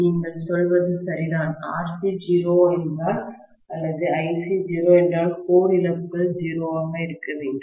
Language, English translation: Tamil, What you say is right, if RC is 0 or if Ic is 0, should get core losses to be 0